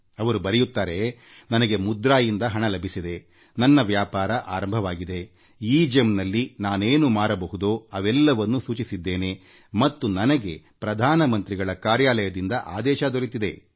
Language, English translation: Kannada, She has written that she got the money from the 'Mudra' Scheme and started her business, then she registered the inventory of all her products on the EGEM website, and then she got an order from the Prime Minister's Office